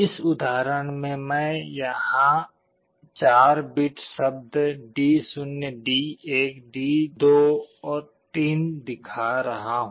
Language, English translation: Hindi, In this example, I am showing it is a 4 bit word D0 D1 D2 3